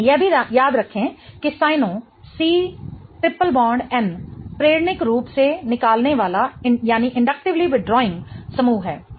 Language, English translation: Hindi, Also remember that the Sino C triple bond N is an inductively withdrawing group